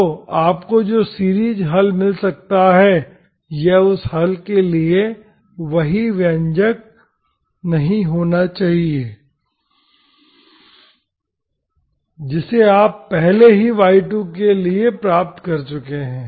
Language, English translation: Hindi, So the series solution which you may get, this need not be exactly this is not the expression for the solution which you have already derived for y2